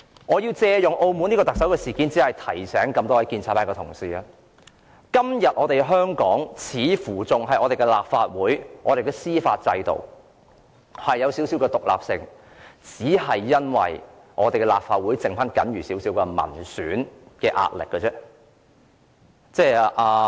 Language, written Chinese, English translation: Cantonese, 我借用澳門特首事件，想提醒各位建制派同事，今天香港的立法會、司法制度似乎仍有一點獨立性，只是因為立法會僅餘少許民選壓力。, I am using the incident of the Chief Executives of Macao to remind the pro - establishment Members that the Legislative Council and the judicial system of Hong Kong are seemingly still rather independent because some elected Members of the Legislative Council can still exert a little pressure . Dr Junius HO is present here